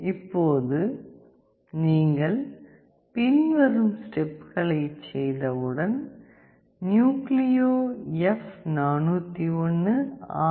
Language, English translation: Tamil, Now, once you do the following steps you will see that NucleoF401RE is selected